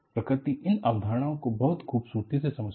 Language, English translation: Hindi, So, the nature has understood, so beautifully, some of these concepts